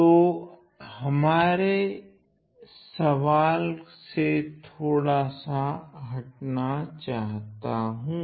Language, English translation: Hindi, So, I am slightly digressing from my question at hand